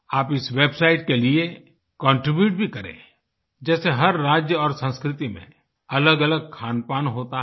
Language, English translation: Hindi, You can also contribute to this website, for example every state and its culture has different kinds of cuisines